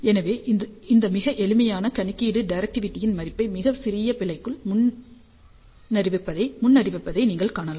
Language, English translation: Tamil, So, you can see that this very simple calculation predicts the value of the directivity within a very small fraction of error